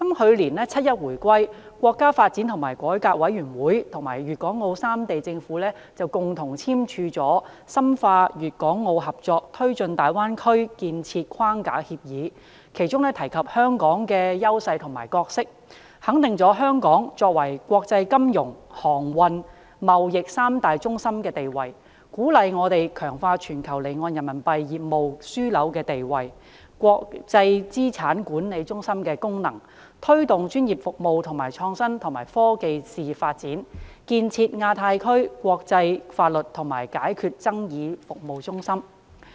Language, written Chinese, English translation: Cantonese, 去年七一回歸，國家發展和改革委員會與粵港澳三地政府共同簽署了《深化粵港澳合作推進大灣區建設框架協議》，其中提及香港的優勢和角色，肯定了香港作為國際金融、航運、貿易三大中心的地位，鼓勵我們強化全球離岸人民幣業務樞紐的地位、國際資產管理中心的功能，推動專業服務和創新及科技事業發展，建設亞太區國際法律及解決爭議服務中心。, On the SAR Establishment Day 1 July last year the National Development and Reform Commission signed with the Governments of Hong Kong Guangdong and Macao the Framework Agreement on Deepening Guangdong - Hong Kong - Macao Cooperation in the Development of the Bay Area in which the unique advantages and roles of Hong Kong are mentioned . This Framework Agreement reaffirms Hong Kongs status as an international financial transportation and trade centre; encourages us to strengthen our status as a global offshore renminbi business hub and our function as an international asset management centre; and promotes the development of Hong Kongs professional services and IT industries as well as the establishment of a centre for international legal and dispute resolution services in the Asia - Pacific Region